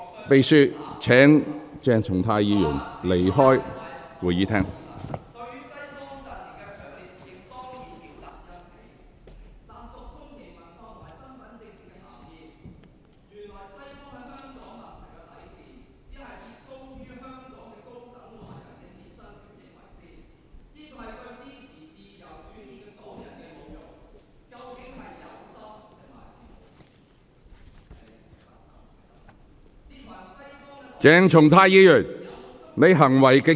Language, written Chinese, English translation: Cantonese, 秘書，請把鄭松泰議員帶離會議廳。, Will the Clerk please escort Dr CHENG Chung - tai to leave the Chamber